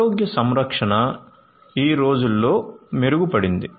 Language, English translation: Telugu, So, health care now a days have improved